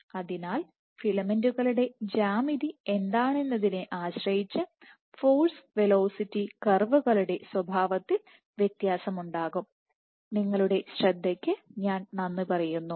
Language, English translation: Malayalam, So, there will be difference in the nature of the force velocity curve, depending on what is the geometry of the filaments